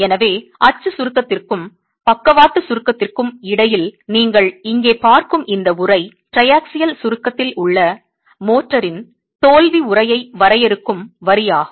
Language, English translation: Tamil, So, this envelope that you see here between axial compression and lateral compression is the line that defines the failure envelope of motor in triaxial compression